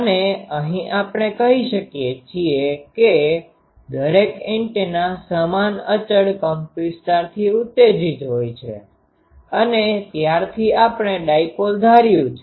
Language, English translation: Gujarati, And here we say that each antenna is excited with same constant amplitude and since we have assumed dipole